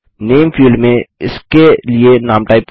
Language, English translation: Hindi, Lets type a name for this in the Name field